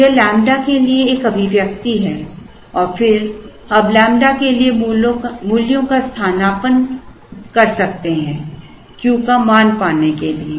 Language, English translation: Hindi, So, this is the expression for lambda and then we can now substitute for the values here to try and get lambda and then we can use this lambda substitute it here to get the value of the Q j